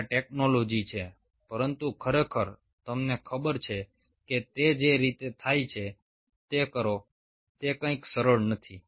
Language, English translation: Gujarati, technology is there but really, to you know, make it happen the way it is, it is not something so easy